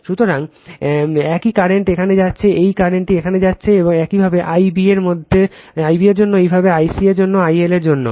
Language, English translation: Bengali, So, same current is going here, same current is going here, similarly for the similarly for I b also and similarly for I c also I L also